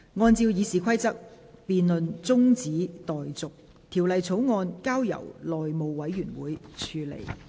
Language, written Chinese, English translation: Cantonese, 按照《議事規則》，辯論中止待續，條例草案交由內務委員會處理。, In accordance with the Rules of Procedure the debate is adjourned and the Bill is referred to the House Committee